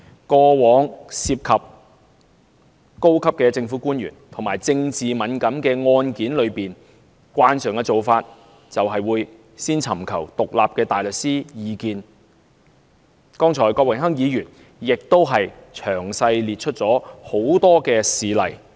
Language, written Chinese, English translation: Cantonese, 過往涉及高級政府官員和具政治敏感性的案件，慣常做法都是先尋求獨立大律師的意見，剛才郭榮鏗議員已詳細列出多個事例。, It was a common practice to first seek advice from independent barristers when dealing with cases involving senior government officials or political sensitivity as seen in a good number of examples cited by Mr Dennis KWOK in detail just now